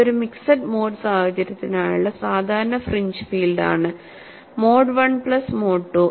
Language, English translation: Malayalam, So, you have this as a typical fringe field for a mixed mode situation, mode 1 plus mode 2